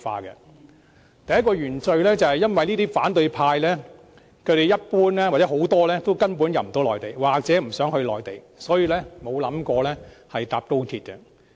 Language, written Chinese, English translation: Cantonese, 他們第一個原罪，是反對派一般無法回內地或不想回內地，所以他們沒有想過乘搭高鐵。, Their first original sin is that the opposition camp has never thought of travelling by XRL as its members are generally barred from entering the Mainland or are not interested in going to the Mainland